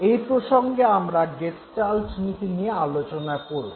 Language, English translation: Bengali, And in this context, we would be talking about the gestalt principles